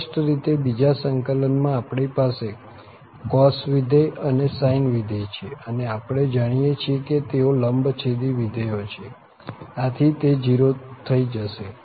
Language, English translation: Gujarati, Clearly, in the second integral, we have the cos function and the sine function and we know that these are orthogonal functions, so this is going to be 0